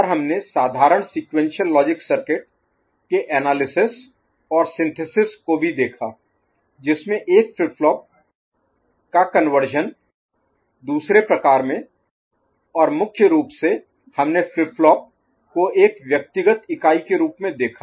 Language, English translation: Hindi, And we also looked at analysis of simple sequential logical circuit and synthesis also from the point of view, conversion of flip flop from one type to another and mostly we dwelt on flip flop as an individual unit